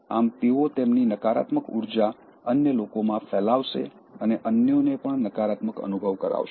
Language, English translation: Gujarati, So that and they will share their negative energy with others and make others feel negative also